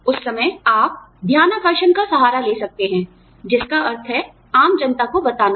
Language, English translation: Hindi, At that point, you could resort to whistleblowing, which means, telling the general public